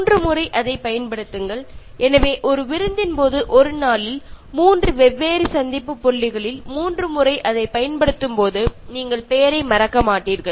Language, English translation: Tamil, Use it thrice, so when you use it three times in the same day during a party at three different meeting points, you will not forget the name at all